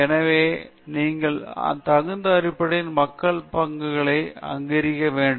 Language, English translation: Tamil, So, you have to recognize contributions of people based on the merit